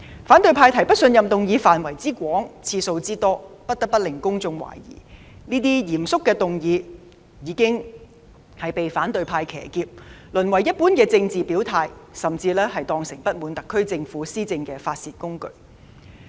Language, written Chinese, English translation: Cantonese, 反對派提出的不信任議案範圍之廣、次數之多，不得不令公眾懷疑這類嚴肅的議案已被反對派騎劫，淪為一般的政治表態，甚至被當成不滿特區政府施政的發泄工具。, Judging from the scope and frequency of the motions of no confidence proposed by the opposition camp the public cannot but suspect that such motions of a solemn nature have been hijacked by the opposition camp degenerated into an ordinary political gesture or even treated as a tool of venting dissatisfaction with the governance of the SAR Government